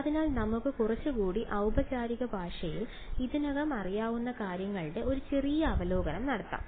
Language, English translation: Malayalam, So, let us just do a sort of a brief review of what we already know, but in a little bit more formal language